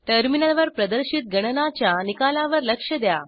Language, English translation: Marathi, Notice the result of the calculation in the terminal